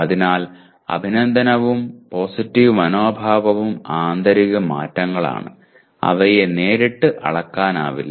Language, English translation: Malayalam, So appreciation and positive attitude are internal changes and not directly measurable